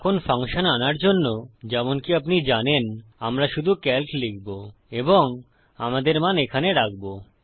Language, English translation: Bengali, Now to call our function, as you know, we will just say calc and put our values in